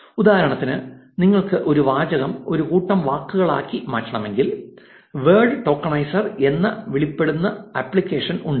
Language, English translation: Malayalam, So, for example, if you want to convert a sentence into a set of words, there is something called word tokenizer